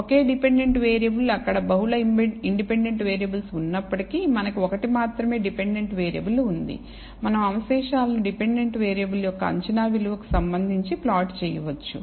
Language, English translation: Telugu, Only one dependent variable even if there are multiple independent variables we have only one dependent variable, we can plot the residuals with respect to the predicted value of the dependent variable